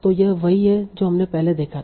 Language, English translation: Hindi, So this is what we had seen earlier